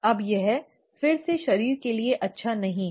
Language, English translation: Hindi, Now this is again not good for the body